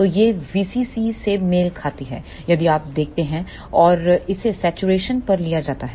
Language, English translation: Hindi, So, this will corresponds to V CC if you see and this is taken at this saturation